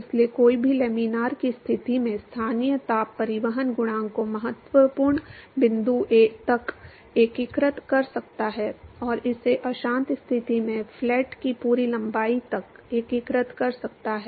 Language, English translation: Hindi, So, one could simply integrate the local heat transport coefficient in laminar conditions up to the critical point, and integrate the same in the turbulent condition up to the full length of the flat